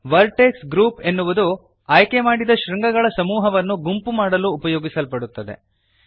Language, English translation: Kannada, Vertex groups are used to group a set of selected vertices